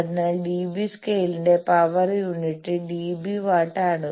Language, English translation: Malayalam, So, the unit of power of the dB scale is dB watt